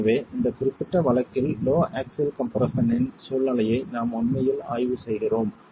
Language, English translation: Tamil, So, in this particular case we are really examining a situation of low axial compression